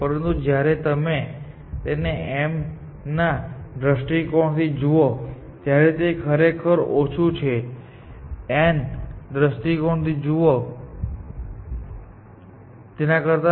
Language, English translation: Gujarati, But when you see from m’s perspective, it is actually less and when you see it from n’s perspective